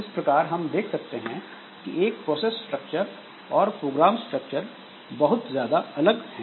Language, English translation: Hindi, So, that way the process structure is much different from the program structure